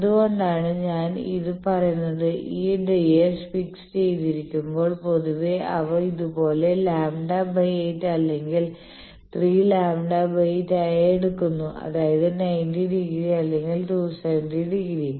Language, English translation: Malayalam, Why I am saying this that means, that when these ds are fixed generally, they are taken like this lambda by 8 or 3, lambda by 8 so that means, 90 degree or 270 degrees